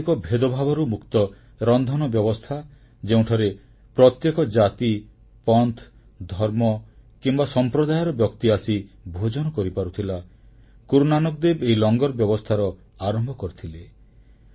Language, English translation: Odia, The establishment of a kitchen free of social discrimination where a person of any caste, sect, religion or community could eat or what we know as the langarsystem was initiated solely by Guru Nanak Dev Ji